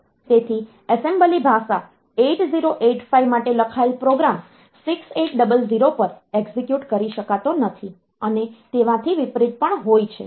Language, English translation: Gujarati, So, is the assembly language a program written for the 8285 cannot be executed on 6800 and vice versa